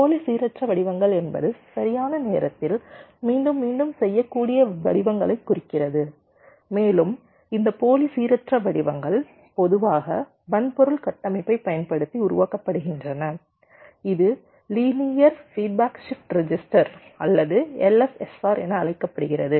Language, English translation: Tamil, pseudo random pattern means patterns which can be repeated in time, and this pseudo random patterns are typically generated using a hardware structure which is called linear feedback shift register or l f s r